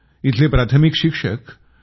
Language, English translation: Marathi, A Primary school teacher, P